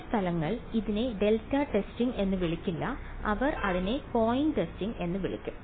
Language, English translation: Malayalam, Some places will not call it delta testing they will call it point testing